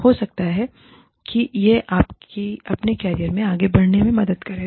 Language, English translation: Hindi, May be, it will help you, move ahead in your career